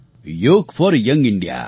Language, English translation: Gujarati, Yoga for Young India